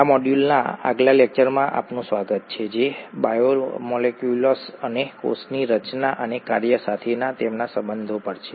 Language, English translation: Gujarati, Welcome to the next lecture in this module which is on biomolecules and their relationship to cell structure and function